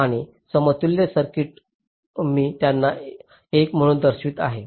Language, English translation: Marathi, so the equivalent circuit will look like this